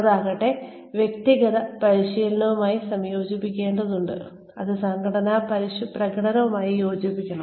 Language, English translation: Malayalam, Which in turn, needs to be combined with, individual performance, which should be aligned with organizational performance